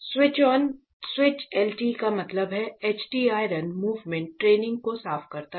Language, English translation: Hindi, Switch on switches LT means HT clean the iron movement training